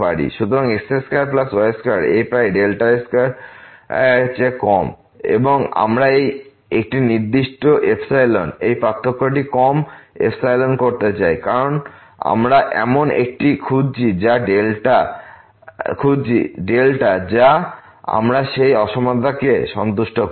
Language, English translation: Bengali, So, x square plus y square in this neighborhood is less than delta square and we want to set for a given epsilon, this difference less than epsilon and we are looking for such a delta which we satisfy that inequality